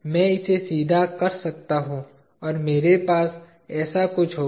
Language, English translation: Hindi, I can straighten it and I will have something like this, with